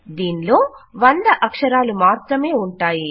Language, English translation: Telugu, It can only be a 100 characters long